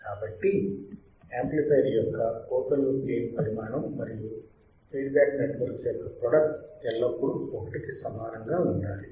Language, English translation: Telugu, So, magnitude of the product of open loop gain of the amplifier and the feedback network should always be equal to 1